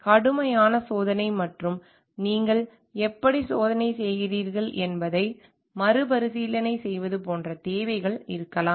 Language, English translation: Tamil, There could be like requirements of may be rigorous testing and retesting even how you do the testing